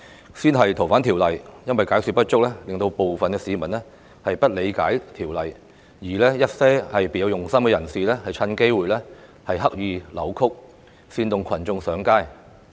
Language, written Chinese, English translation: Cantonese, 首先是修訂《逃犯條例》，由於解說不足，導致部分市民不理解修例建議，而一些別有用心人士則藉此機會刻意扭曲，煽動群眾上街。, The first example was the proposed legislative amendments to the Fugitive Offenders Ordinance . Due to inadequate explanation some people failed to fully understand the Governments proposals those with ulterior motives had taken the opportunity to deliberately twist the facts and instigate people to take to the streets